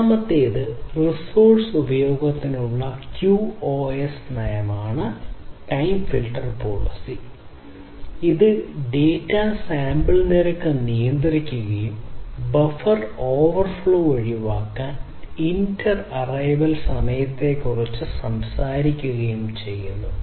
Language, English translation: Malayalam, And the second one the QoS policy for resource utilization is time filter policy which controls the data sampling rate and this basically talks about the inter arrival time to avoid buffer overflow